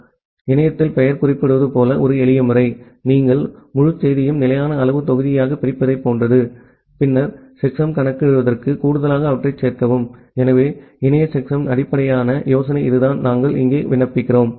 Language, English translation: Tamil, So, a simple method as the name suggests in internet the checksum is just like you divide the entire message into fixed size block, and then make ones complement addition to compute the checksum, so that is the basic idea of internet checksum that we apply here